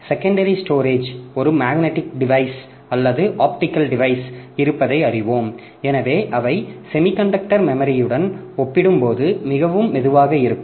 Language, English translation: Tamil, And as we know that secondary storage being a magnetic or optical device, so they are much much slower compared to semiconductor memory